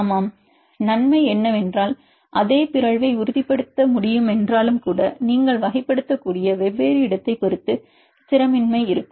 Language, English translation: Tamil, Yeah, advantage is because you can even if the same mutation can stabilize and destabilize depending upon different location you can classify